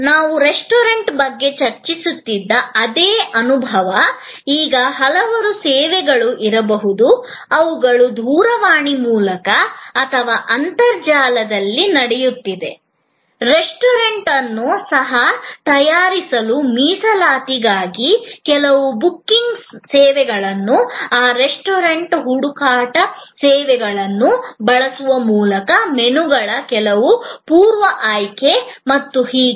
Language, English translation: Kannada, ) discussing about the restaurant, now there may be a number of services, which are happening over telephone or over internet for making reservation for selecting the restaurant for even making some pre selection of menus and so on by using some of those booking services, some of those restaurant search services